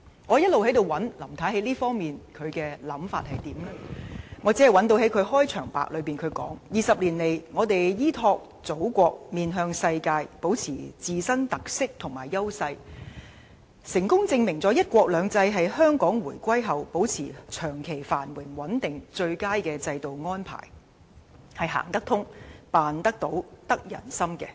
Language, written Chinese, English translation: Cantonese, 我試圖在施政報告中尋找林太在這方面的想法，但只能找到她在前言說 ："20 年來，香港依託祖國、面向世界，保持自身特色和優勢，成功證明了'一國兩制'是香港回歸後保持長期繁榮穩定的最佳制度安排，是'行得通、辦得到、得人心'的。, I tried to look up Mrs LAMs ideas in this respect in the Policy Address but could only found in the Introduction the following remarks In the last two decades thanks to the support of the Motherland and with an international vision Hong Kong has kept its distinct features and strengths . This fully demonstrates that One Country Two Systems is the best institutional arrangement to ensure Hong Kongs long - term prosperity and stability after our return to the Motherland